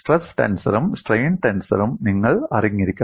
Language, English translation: Malayalam, You have to know both this stress tensor as well as the strain tensor